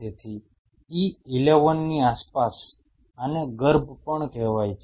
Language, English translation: Gujarati, So, around E11 this is also called embryonic